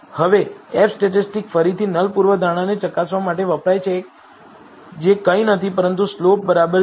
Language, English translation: Gujarati, Now the F statistic is again used to test the null hypothesis which is nothing, but slope equal to 0